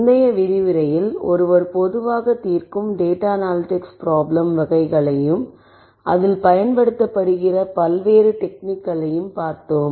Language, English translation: Tamil, In the previous lecture, we looked at data analytic problem types, the types of data analytics problems that one typically solves and we also looked at the various techniques that have a being used